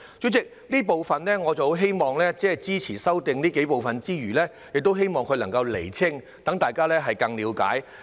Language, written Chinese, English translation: Cantonese, 主席，我除了支持這幾部分的修正案之餘，也希望當局能夠釐清相關事宜，讓大家更加了解。, Chairman while I support the amendments regarding these aspects I also hope the authorities can clarify the relevant issues to enable us to have a better understanding of them